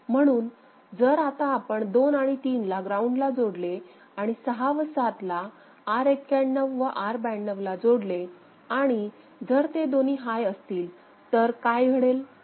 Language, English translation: Marathi, So, if we keep 2 and 3 ground and these 6 and 7 where R91 and R92 are there ok; so, if both of them are high, then what happens